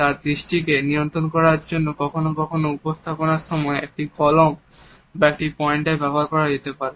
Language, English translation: Bengali, In order to control the gaze of a person you are interacting with sometimes a pen or a pointer may be used during the presentation